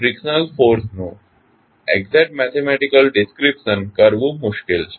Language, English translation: Gujarati, Therefore, the exact mathematical description of the frictional force is difficult